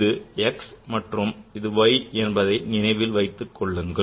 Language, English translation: Tamil, So, remember this is x and this is y and this is y